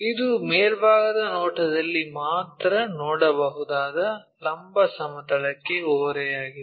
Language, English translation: Kannada, This inclined to vertical plane we can see only in the top view